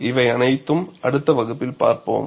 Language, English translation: Tamil, All these, we would see in the next class